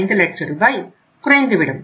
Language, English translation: Tamil, 5 lakh rupees